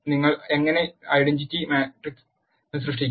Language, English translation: Malayalam, How do you create identity matrix